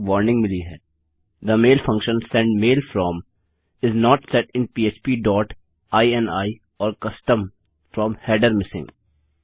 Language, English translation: Hindi, We have got a warning the mail function send mail from is not set in php dot ini or custom From: header missing